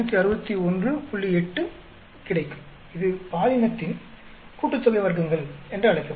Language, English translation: Tamil, 8 that will be called the gender sum of squares